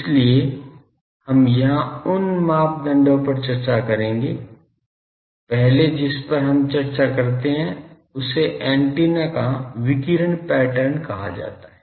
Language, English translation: Hindi, So, we will discuss those parameters here; the first one that we discuss is called radiation pattern of the antenna